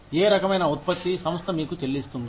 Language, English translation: Telugu, What kind of output, does the organization pay you for